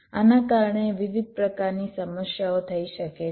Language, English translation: Gujarati, various kinds of problems may may arise because of this